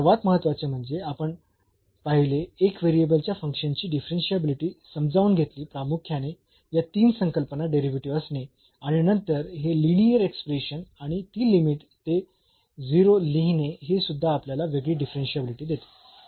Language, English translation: Marathi, And, very important that we first understood this differentiability of the function of one variable mainly these three concept having the derivative and then this linear expression and also writing that limit to 0 gives us differentiability